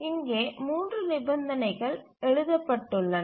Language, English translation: Tamil, So, written down the three conditions here